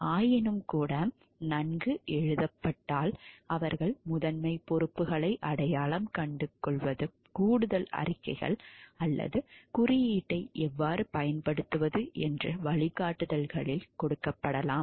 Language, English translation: Tamil, Nonetheless, when well written they identify primary responsibilities more specific directions may be given in supplementary statements or guidelines which tell how to apply the code